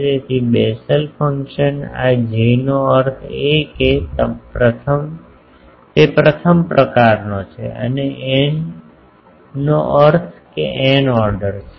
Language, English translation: Gujarati, So, Bessel function this is J means it is the first kind and n means of order n ok